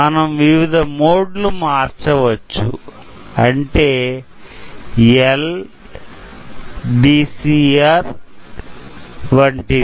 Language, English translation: Telugu, So, you can change between the different modes as, L, D C R, C, R etcetera